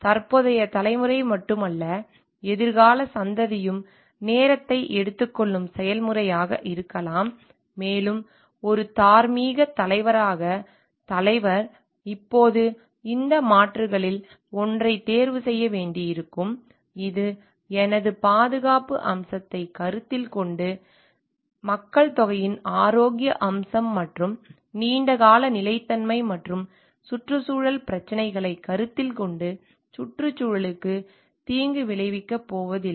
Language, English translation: Tamil, Of not only a present generation, but future generation which is may be a time consuming process, and the leader as a moral leader, now may need to choose between these alternatives taking into my the safety aspect the health aspect of the population at large and for the long term sustainability and also taking the environmental issues into consideration, so that we are not going to provide harm to the environment